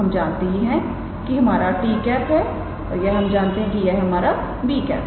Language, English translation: Hindi, So, we know our t is this one, and we know our b is this one